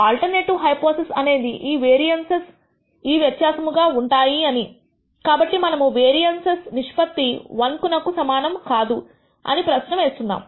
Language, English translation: Telugu, The alternative hypothesis is that these variances are different, so we are asking whether the ratio of the variance is not equal to 1